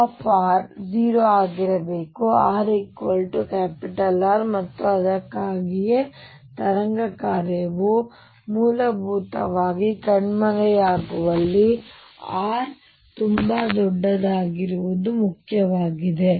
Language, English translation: Kannada, Take u r to be 0 at r equals R and that is why it is important that capital r be very large where wave function essentially vanishes